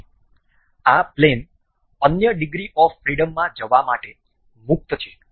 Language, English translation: Gujarati, So, this plane is free to move in other degrees of freedom